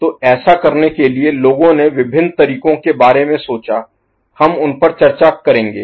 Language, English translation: Hindi, So, to do that, people have thought about various means, we shall discuss them